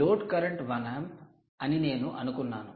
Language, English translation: Telugu, i have assumed the load current to be one amp